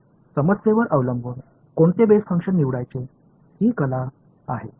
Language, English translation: Marathi, So, this is also bit of a art choosing which basis function depending on the problem